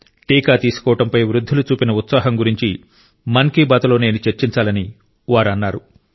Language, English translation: Telugu, She urges that I should discuss in Mann ki Baat the enthusiasm visible in the elderly of the household regarding the vaccine